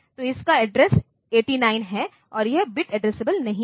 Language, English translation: Hindi, So, its address is 89 and it is not bit addressable